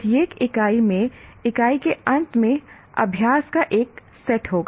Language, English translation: Hindi, Each unit will have a set of exercises at the end of unit